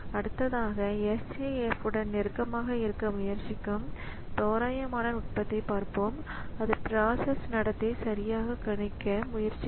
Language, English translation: Tamil, So, next we'll see an approximate technique that will try to be close to SJF and that will try to predict the behavior of the process